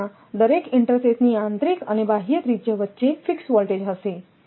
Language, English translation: Gujarati, So, there is a fixed voltage between the inner and outer radii of each sheath